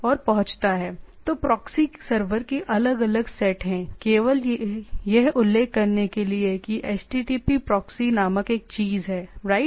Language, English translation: Hindi, So, there are different set of proxy server just to mention that there is a this thing called HTTP proxy right